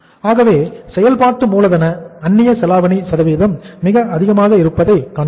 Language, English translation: Tamil, So we are seeing that working capital leverage percentage is very high